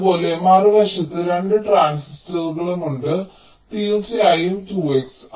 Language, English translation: Malayalam, similarly, on the other side there are two transistors which are of course two x